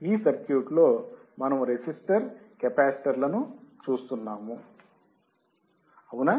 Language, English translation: Telugu, We are looking only on this circuit where resistor and capacitor was there correct